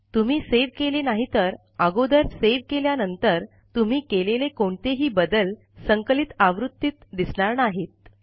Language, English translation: Marathi, If you dont save it, whatever changes you made since the last save will not be included in the compiled form